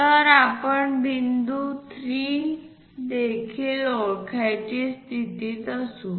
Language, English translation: Marathi, So, we will be in a position to identify point 3 also